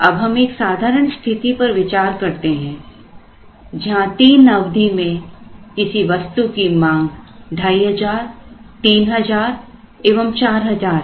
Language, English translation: Hindi, Now, let us consider a simple situation, where the demands are 2500, 3000, 4000 in three periods